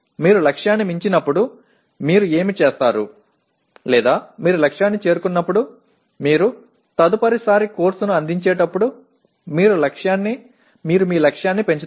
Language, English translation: Telugu, When you exceed the target, what you do or you meet the target then what you do next time you offer the course, you raise your target